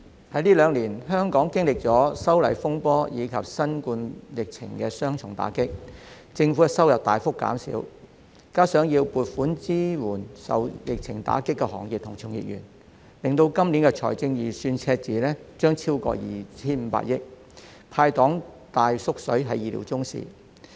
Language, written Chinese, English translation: Cantonese, 代理主席，香港這兩年經歷了修例風波及新冠疫情的雙重打擊，政府收入大幅減少；再加上要撥款支援受疫情打擊的行業及其從業員，今年財政預算赤字將超過 2,500 億元，"派糖""大縮水"是意料中事。, Deputy President Hong Kong suffered the double blow of the disturbances arising from the proposed legislative amendments and the novel coronavirus epidemic in these two years thus the revenue of the Government drops substantially . Coupled with the need to allocate funds to support the pandemic - stricken industries and their practitioners the deficit in this years Budget has exceeded 250 billion . A huge cut of candies to be handed out is thus expected